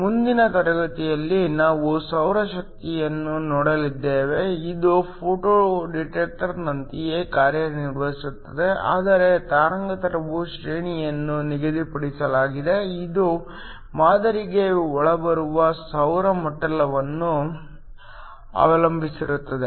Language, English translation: Kannada, In the next class, we are going to look at a solar cell which works in a similar way to a photo detector, but the wavelength range is fixed it depends upon the solar spectrum that is incoming on to the sample